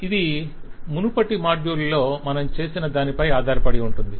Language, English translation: Telugu, So this is just based on what we did in the earlier module